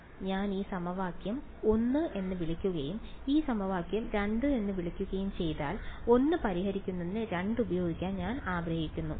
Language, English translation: Malayalam, So, if I tell if I call this equation 1 and call this equation 2 I want to use 2 in order to solve 1